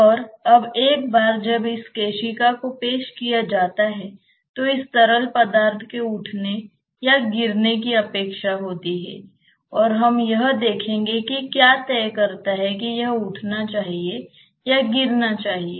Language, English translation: Hindi, And now once this capillary is introduced this fluid is expected to either rise or fall and we will see that what dictates that it should rise or fall